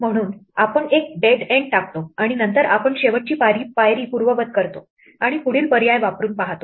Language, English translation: Marathi, So, we hit a dead end, and then we undo the last step and try the next option